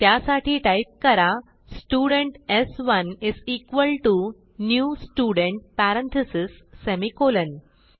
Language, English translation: Marathi, So type Student s1 is equal to new Student parentheses semicolon